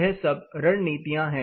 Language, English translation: Hindi, So, what are the strategies